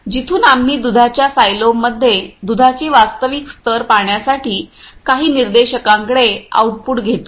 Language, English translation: Marathi, From where we take the outputs to some indicators to see the actuals level of milk in a milk silo